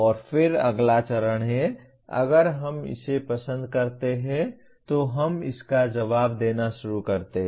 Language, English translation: Hindi, And then next stage is, if we like it, we start responding to that